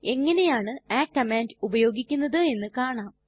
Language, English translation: Malayalam, Let us see how the command is used